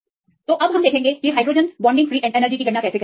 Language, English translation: Hindi, So, how to do if there are hydrogen bonding free energy